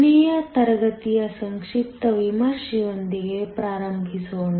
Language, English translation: Kannada, Let us start with the brief review of the last class